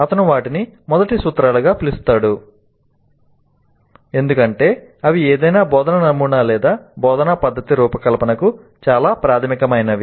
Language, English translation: Telugu, He calls them as first principles because they are very basic to the design of any instructional model or instructional method